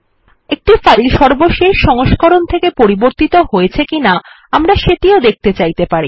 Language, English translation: Bengali, Also we may want to see whether a file has changed since the last version